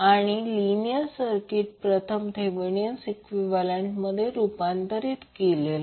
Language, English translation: Marathi, So this linear circuit will first convert into Thevenin equivalent